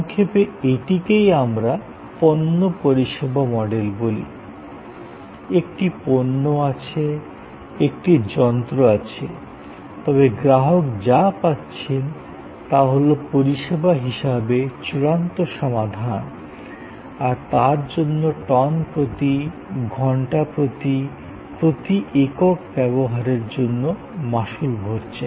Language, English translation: Bengali, This in short is what we call product service model; there is a product, there is a machine, but what the customer is procuring is the final solution as service, paying on per ton, per hour, per units of usage